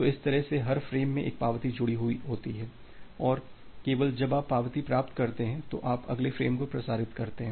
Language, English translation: Hindi, So, that way every frame has an acknowledgement associated with it and only when you receive the acknowledgement you transmit the next frame